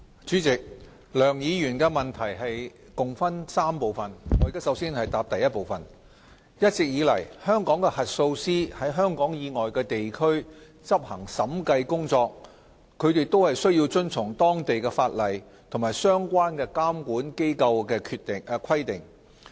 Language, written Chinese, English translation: Cantonese, 主席，梁議員的質詢共分3部分，我的答覆如下：一一直以來，香港核數師在香港以外地區執行審計工作，均須遵從當地的法例及相關監管機構的規定。, President my reply to the three parts of the question raised by Mr LEUNG is as follows 1 All along when Hong Kong auditors carry out auditing work outside Hong Kong they are required to comply with the local legislation and the requirements of the relevant local regulators